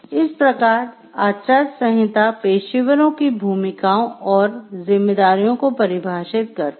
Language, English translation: Hindi, So, a code defines the roles and responsibilities of the professionals